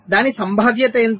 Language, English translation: Telugu, so what will be the probability